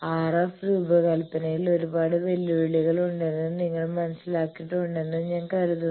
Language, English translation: Malayalam, So, definitely I think you have understood that there are lot of challenges in the RF design